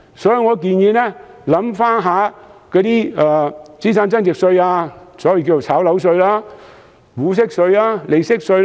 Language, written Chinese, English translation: Cantonese, 所以，我建議政府從資產增值稅入手，例如所謂的"炒樓稅"、股息稅及利息稅。, Therefore I would suggest the Government exploring the introduction of various capital gains taxes such as the so - called property speculation tax dividend tax and interest tax